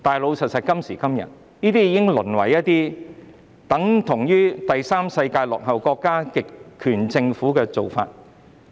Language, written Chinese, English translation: Cantonese, 不過，誠然，有關部門所採取的，已經是第三世界落後國家或極權政府的做法。, But honestly the relevant departments have already adopted the practices of those backward countries in the Third World or totalitarian governments